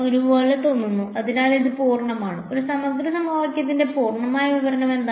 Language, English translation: Malayalam, Looks like a ; so, it is a complete what is the complete description of this integral equation